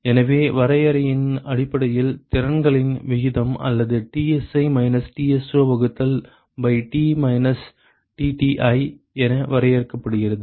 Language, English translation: Tamil, So, that is sort of easy to realize what it is from the definition basically the ratio of the capacities or it is defined as Tsi minus Tso divided by Tto minus Tti